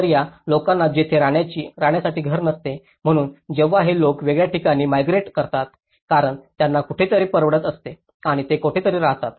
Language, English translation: Marathi, So, people who were not having any house to live there, so when these people have migrated to a different place because they could able to afford somewhere and they could able to live somewhere else